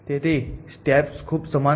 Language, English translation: Gujarati, So, the steps are very similar at